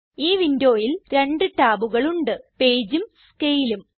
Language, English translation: Malayalam, This window contains two tabs Page and Scale